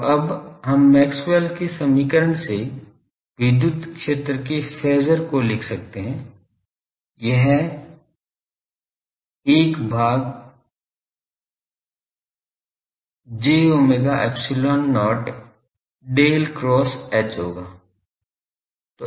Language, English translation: Hindi, So, now, we can write the electric field phasor from the Maxwell’s equation has 1 by j omega epsilon not Del cross H